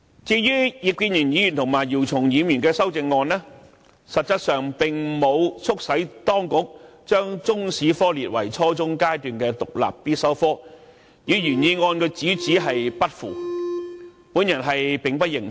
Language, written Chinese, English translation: Cantonese, 至於葉建源議員和姚松炎議員的修正案，實質上並沒有促使當局把中史科列為初中階段的獨立必修科目，與原議案主旨不符，因此我並不認同。, The amendments proposed by Mr IP Kin - yuen and Dr YIU Chung - yim have not actually urged the Government to require the teaching of Chinese history as an independent subject at junior secondary level and make the subject compulsory . Since these amendments do not align with the theme of the original motion I do not agree with them